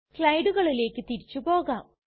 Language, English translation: Malayalam, Now we go back to the slides